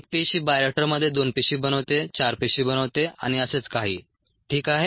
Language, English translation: Marathi, one cell becoming two cells and the bioreactor becoming four cells, and so on and so forth